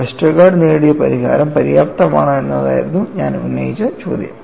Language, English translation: Malayalam, The question I raised was, whether the solution obtained by Westergaard was sufficient or not